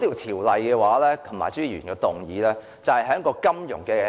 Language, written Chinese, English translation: Cantonese, 《條例草案》及朱議員的議案，就是在金融或......, The Bill and Mr CHUs motion are in the financial Mr Andrew WAN wishes to speak